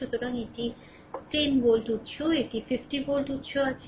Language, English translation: Bengali, So, we have one 10 volt source, and we have one 50 volt source